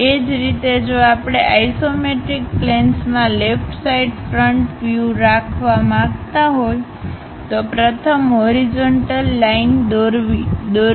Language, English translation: Gujarati, Similarly, if we would like to have left sided front view in the isometric planes first draw a horizontal line